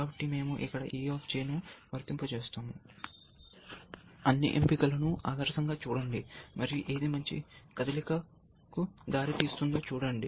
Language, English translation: Telugu, So, we apply e of J here, ideally we say just look at the all the options and see which one leads to a better move essentially